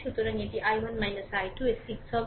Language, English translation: Bengali, So, from this i 2 is known